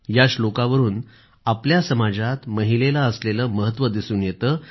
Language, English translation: Marathi, This underscores the importance that has been given to women in our society